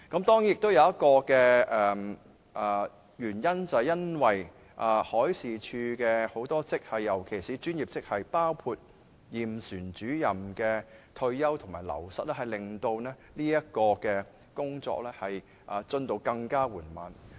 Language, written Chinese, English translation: Cantonese, 當然，還有一個原因，就是海事處很多職系，尤其是專業職系的退休及流失，令到工作進度更緩慢。, Of course there is another reason that is the retirement and wastage of many grades in MD especially professional grades including surveyors has further slowed down work progress